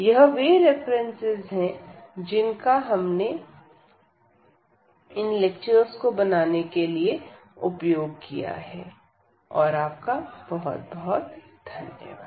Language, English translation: Hindi, So, these are the references used and thank you very much